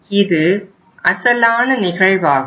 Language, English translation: Tamil, This is the original case